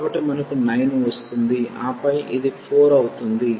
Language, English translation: Telugu, So, we get 9 and then this is by 4